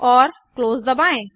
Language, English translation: Hindi, And press close